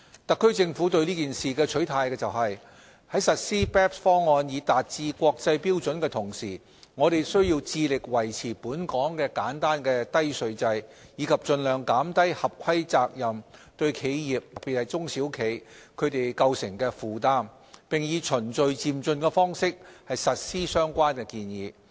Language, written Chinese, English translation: Cantonese, 特區政府對此事的取態是，在實施 BEPS 方案以達致國際標準的同時，我們需要致力維持本港的簡單低稅制，以及盡量減低合規責任對企業構成的負擔，並以循序漸進的方式實施相關建議。, In respect of this issue the position of the Special Administrative Region Government is that while meeting international standards through the implementation of the BEPS package we should strive to uphold Hong Kongs simple and low tax regime minimize the compliance burden on businesses particularly small and medium enterprises as well as implement the relevant proposal in a progressive manner